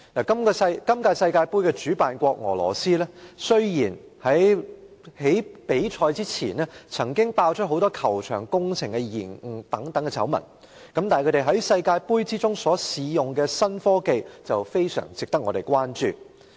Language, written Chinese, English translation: Cantonese, 本屆世界盃主辦國俄羅斯，雖然在比賽前曾經爆出球場工程延誤等多宗醜聞，但是，他們在世界盃中試用的新科技卻非常值得我們關注。, Despite the exposure of various scandals such as delay in the works of football pitches in Russia the host country of the World Cup Finals this year before the kick - off of the matches the new technology tried out in the World Cup Finals is well worthy of our attention